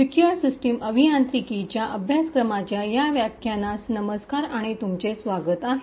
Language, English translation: Marathi, Hello and welcome to this lecture in the course for Secure System Engineering